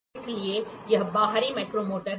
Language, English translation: Hindi, So, this is the outside micrometer